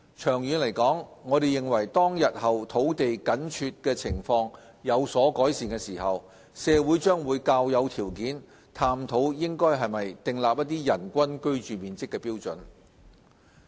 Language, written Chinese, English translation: Cantonese, 長遠而言，我們認為當日後土地緊絀情況有所改善時，社會將較有條件探討應否訂立人均居住面積標準。, In the longer run we consider that when the land shortage situation is alleviated our society will be in a better position to explore whether a standard on average living floor area per person should be set